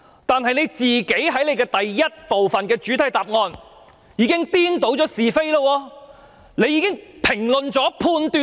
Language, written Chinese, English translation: Cantonese, 但是，他在主體答覆第一部分已經顛倒是非，並作出評論和判斷。, However in part 1 of the main reply he has reversed right and wrong and made comments and judgments